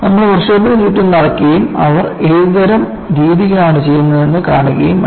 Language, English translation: Malayalam, You have to walk along the work shop andsee what kind of practice is that they are doing